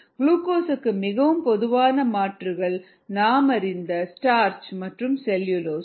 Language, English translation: Tamil, very common alternatives for glucose are starch you know the same starch that you know of cellulose